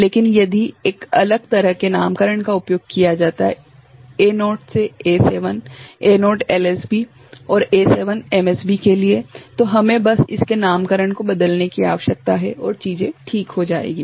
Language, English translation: Hindi, So but we know that if a different kind of nomenclature is used A naught to A7, A naught LSB and A7 is MSB, then we just need to change the naming of it and the things will work out ok